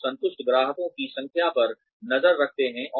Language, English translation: Hindi, You could keep a track, of the number of satisfied customers, you had